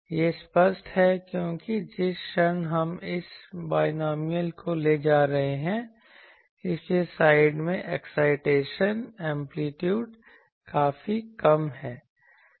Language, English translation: Hindi, That is obvious because the moment we are taking this binomial ones so, at the sides the excitation amplitude is quite less